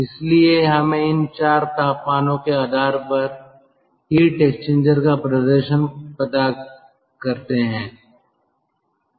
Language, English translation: Hindi, hence it is temperature effectiveness of heat exchanger